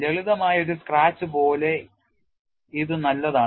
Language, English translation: Malayalam, It is as good as a simple scratch